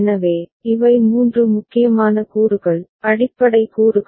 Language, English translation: Tamil, So, these are the three important components, basic components